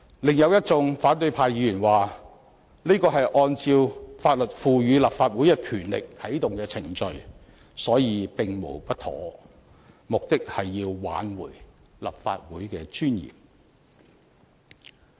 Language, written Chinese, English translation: Cantonese, 另有一眾反對派議員說，這是按照法律賦予立法會的權力而啟動的程序，所以並無不妥，目的是要挽回立法會的尊嚴。, According to some other opposition Members as the procedure was initiated in accordance with the authority conferred to the Legislative Council by law there was nothing improper and the purpose was to regain the dignity of the legislature